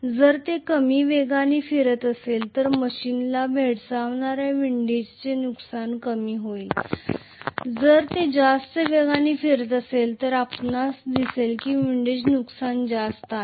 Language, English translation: Marathi, If it is rotating at lower speed the windage losses faced by the machine will be smaller, if it is rotating at a higher speed you will see that the windage losses are more